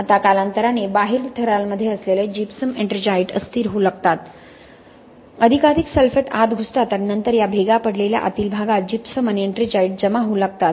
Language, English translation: Marathi, Now with time gypsum ettringite which are in the outer layers start getting unstable, more and more sulphate penetrates and then starts depositing gypsum and ettringite in this cracked interior, okay